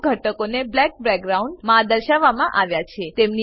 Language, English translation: Gujarati, Some elements are shown in black background